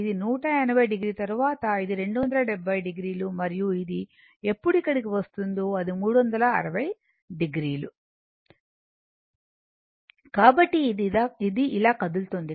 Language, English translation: Telugu, That this is one 80 degree, then this is 270 degree, and when it will come to this one it is 360 degree, right